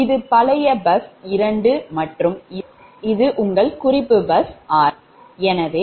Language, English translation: Tamil, this is old bus two and this your reference bus r